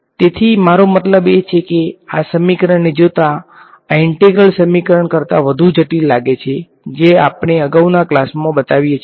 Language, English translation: Gujarati, So, it I mean just looking at these equations, this looks much more complicated than the integral equation that we show in the previous class right